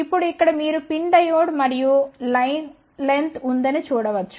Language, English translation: Telugu, Now here you can see that there is a pin diode and line length